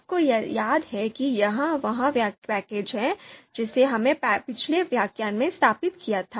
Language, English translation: Hindi, You remember that this is the package that we have installed in the previous lecture